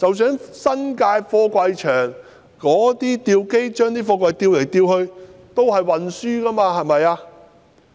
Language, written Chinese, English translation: Cantonese, 新界貨櫃場的吊機把貨櫃吊來吊去，這也屬於運輸途中，是嗎？, Containers being lifted around by the cranes in the container yards in the New Territories are also regarded as containers during transport . Is that right?